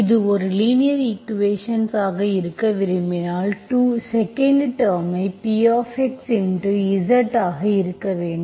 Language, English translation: Tamil, If you want this to be a linear equation, you should have the 2nd term should be Px into some z